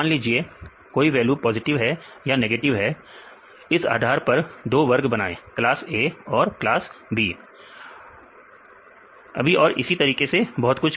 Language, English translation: Hindi, If this particular value is positive or negative then this is for class A or class B and so on